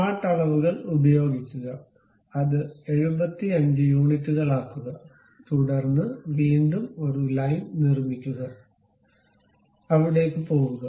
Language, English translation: Malayalam, Use smart dimensions, make it 75 units, then again construct a line, goes there